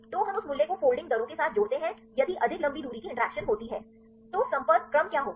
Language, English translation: Hindi, So, then we relate that value with the folding rate if there are more long range interactions, what will happen to the contact order